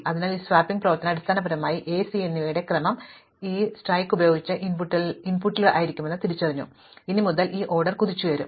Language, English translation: Malayalam, So, this swapping operation has basically reversed the order of A and C with respect to what it was in the input and henceforth therefore, this order will get jumbled